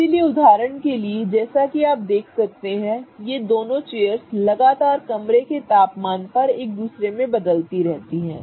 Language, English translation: Hindi, So, for example as you can see these two chairs are going to constantly keep on interconverting between each other at room temperature